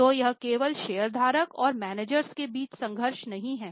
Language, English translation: Hindi, So, it is not just a conflict between shareholder and managers